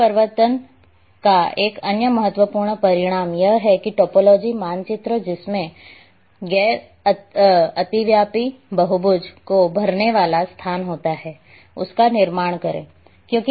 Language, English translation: Hindi, Another important consequence of planar enforcement that is the construction of topology that map that has topology contains a space filling non overlapping polygons